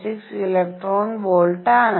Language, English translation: Malayalam, 6 electron volts